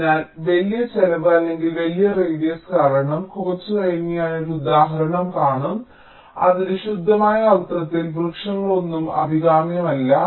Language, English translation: Malayalam, so, but because of either large cost or large radius, as i as i shall see an example a little later, neither of tree in its purest sense is desirable